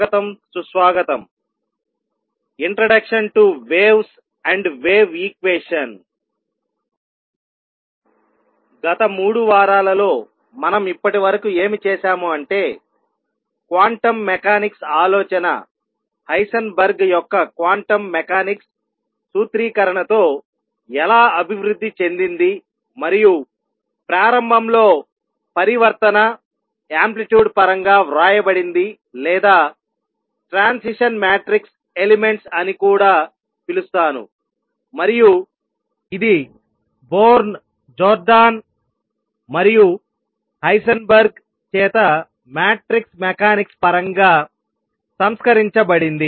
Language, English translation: Telugu, What we have done so far in the past 3 weeks is seen how the quantum mechanics idea developed and culminated with Heisenberg’s formulation of quantum mechanics which initially was written in terms of transition, amplitudes or, what I will also call transition matrix elements and this was reformulated then in terms of matrix mechanics by Born, Jordan and Heisenberg